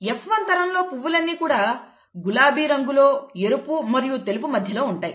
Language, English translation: Telugu, In the F1 generation, all the flowers would be pink, somewhere in between red and white, okay